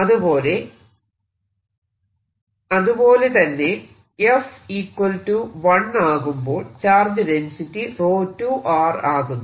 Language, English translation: Malayalam, if f is zero, i have the charge density rho one